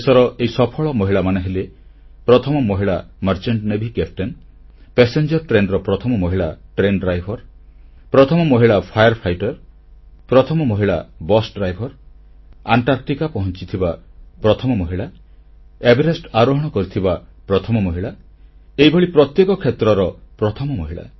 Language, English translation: Odia, Women achievers of our country… the first female Merchant Navy Captain, the first female passenger train driver, the first female fire fighter, the first female Bus Driver, the first woman to set foot on Antarctica, the first woman to reach Mount Everest… 'First Ladies' in every field